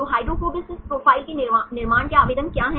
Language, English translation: Hindi, So, what are the applications of constructing hydrophobicity profiles